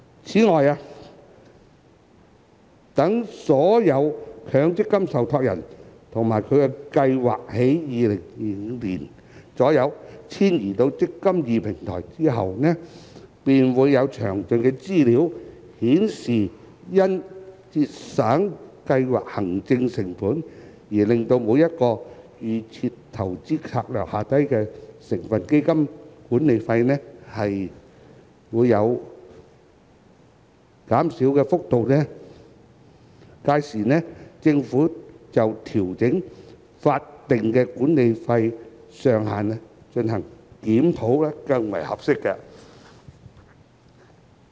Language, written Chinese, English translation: Cantonese, 此外，待所有強積金受託人及其計劃於2025年左右遷移至"積金易"平台後，便會有詳盡的資料，顯示因節省計劃行政成本而令每個預設投資策略下的成分基金管理費減少的幅度，屆時政府就調整法定管理費上限進行檢討更為合適。, In addition after all MPF trustees and their schemes have migrated to the eMPF Platform in around 2025 more detailed information on the degree of reduction in the management fee of each constituent fund under DIS due to cost savings in scheme administration will be available . It will then be a more opportune time for the Government to conduct a review on the adjustment to the statutory management fee cap